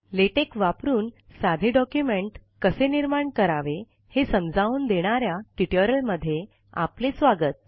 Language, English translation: Marathi, Welcome to this spoken tutorial on how to create a simple document using LaTeX